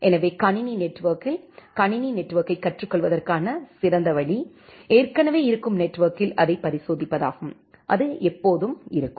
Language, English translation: Tamil, So, in computer network the best way to learn a computer network is experimenting it on the existing network so that is always